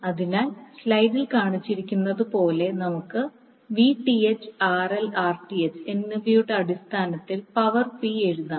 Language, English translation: Malayalam, So we can write power P in terms of Vth, RL and Rth like shown in the slide